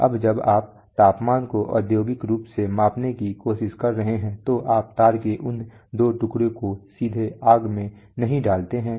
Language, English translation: Hindi, Now when you are trying to measure the temperature industrially you do not put those two pieces of wire directly into the fire